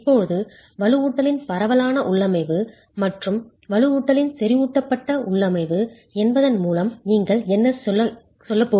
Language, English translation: Tamil, Now what do you mean by a spread configuration of reinforcement and a concentrated configuration of reinforcement